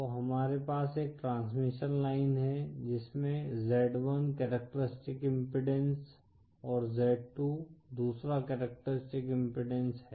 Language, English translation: Hindi, So we have one transmission line with characteristic impedance z1, & another with characteristic impedance z2